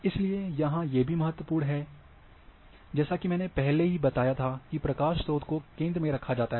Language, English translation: Hindi, So, all these things are important here, as earlier I was mentioned that illumination source is kept in the center